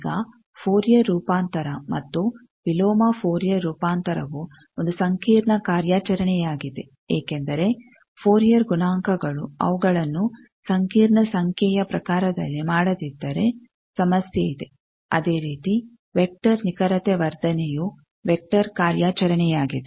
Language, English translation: Kannada, Now, Fourier transform and inverse Fourier transform also is a complex operation because the Fourier coefficients, if they are not done in complex wise complex number wise then there is problem, similarly vector accuracy enhancement that is also a vector operation